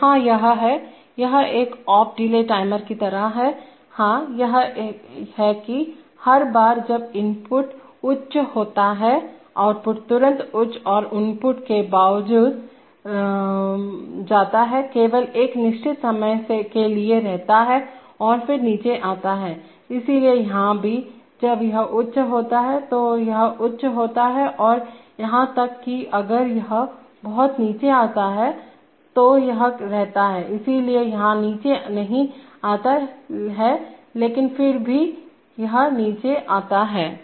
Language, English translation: Hindi, So here the, this the, this is just like an off delay timer, yes, no, not off delay timer, this is that, every time the, when the input goes high the output immediately goes high and irrespective of the input, it stays for only for a fixed time and then comes down, so here also, when this goes high, this goes high and even if this comes down much earlier, this keeps, so here it does not come down but still this comes down